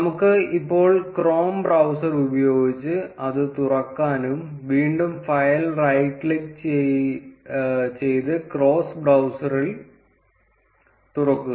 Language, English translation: Malayalam, And we can now open it using the chrome browser, again right click on the file and open it in chrome browser